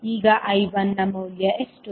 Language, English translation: Kannada, Now what is the value of I1